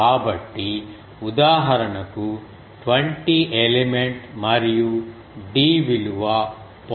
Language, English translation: Telugu, So, for example, suppose 20 element and d is 0